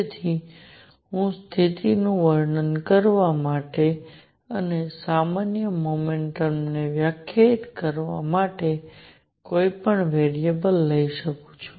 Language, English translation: Gujarati, So, I can take any variable to describe the position and define a generalize momentum